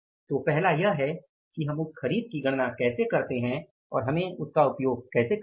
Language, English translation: Hindi, So, first it is the how we calculate those purchases and how we have to use it